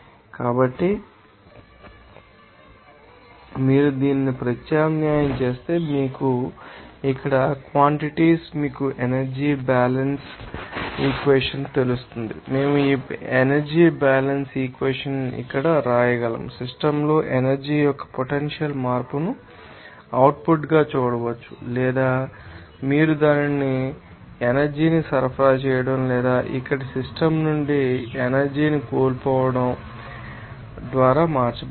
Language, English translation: Telugu, So, if you substitute this, you know, quantities here in this you know energy balance equation, we can write this energy balance equation here, we can see that that net change of energy in the system as an output or you can see that that will be changed by that you know supplying of energy or losing its energy from the system here